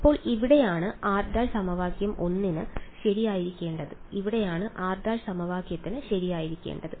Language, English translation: Malayalam, So, this is where r prime should be right for equation 1 and this is where r prime should be for equation